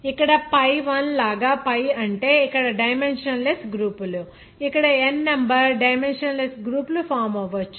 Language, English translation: Telugu, Here like pi I here pi means dimensionless groups here may be n number of dimensionless groups will be formed